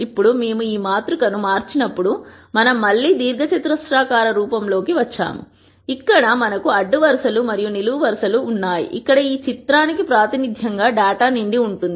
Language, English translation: Telugu, Now notice that while we converted this matrix we have again got into a rectangular form, where we have rows and columns, where data is filled as a representation for this picture